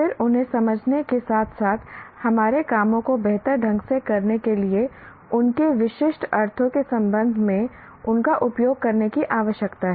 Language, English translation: Hindi, They need to be used in their specific, with respect to their specific meanings for us to understand each other as well as do our jobs better